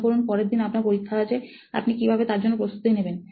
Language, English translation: Bengali, Imagine you have an exam coming up the next day, but what would be your preparation for it